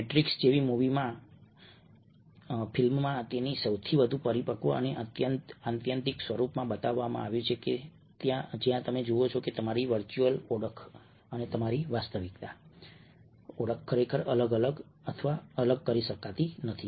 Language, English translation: Gujarati, this is the new immersive technology which is coming, something which your are is shown in at most mature and extreme form in a film, in a movie like the matrix, where you see that your virtual identity and your real identity cannot really be segregated or separated